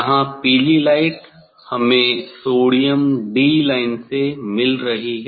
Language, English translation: Hindi, here yellow light we are getting sodium D line